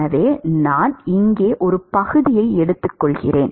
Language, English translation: Tamil, So, supposing I take a section here